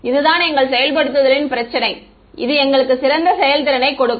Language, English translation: Tamil, This is our implementation issue this is what gives the best performance